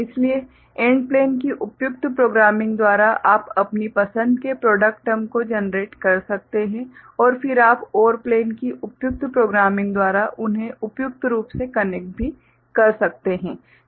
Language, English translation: Hindi, So, you can generate product term of your choice by appropriate programming of AND plane and then you can also suitably connect them by appropriate programming of OR plane ok